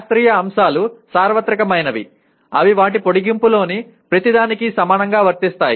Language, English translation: Telugu, Classical concepts are universal in that they apply equally to everything in their extension